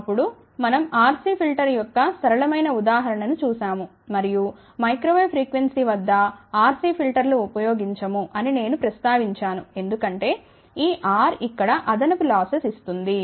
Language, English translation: Telugu, Then, we had seen a simple example of RC filter and I did mention that we do not use RC filter at microwave frequency because this R here gives additional loses